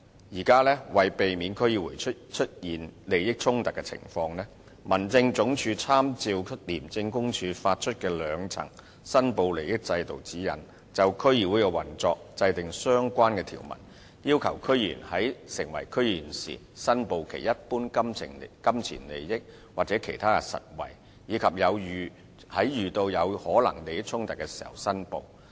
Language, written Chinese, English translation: Cantonese, 現時，為避免區議員出現利益衝突的情況，民政事務總署參照廉政公署發出的兩層申報利益制度指引，就區議會的運作制定相關條文，要求區議員在成為區議員時申報其一般金錢利益或其他實惠，以及遇到有可能出現利益衝突時申報。, At present in order to avoid conflict of interest by DC members the Home Affairs Department has with reference to the guidelines for a two - tier reporting system devised by the Independent Commission Against Corruption made relevant provisions on the operation of DCs under which DC members are required to declare their general pecuniary interests or other material benefits upon resumption of office and make a declaration when there is any potential conflict of interests